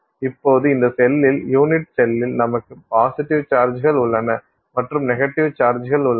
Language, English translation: Tamil, So, now, excuse me, now you have positive charges in this cell, unit cell and you have negative charges